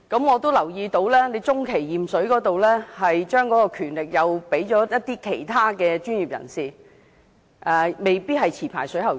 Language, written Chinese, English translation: Cantonese, 我留意到，當局將中期驗水交由其他專業人士負責，未必一定委派持牌水喉匠。, I have noticed that the authorities have entrusted professionals other than licensed plumbers with interim water testing in some cases